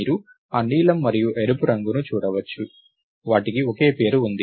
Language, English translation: Telugu, So, you can see that blue and red one, they have the same name, right